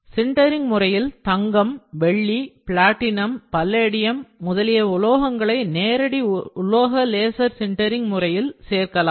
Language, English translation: Tamil, Next is precious metals, it is possible to sinter powdered gold, silver platinum, palladium using direct metal laser sintering machines